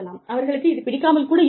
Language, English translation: Tamil, They may not like it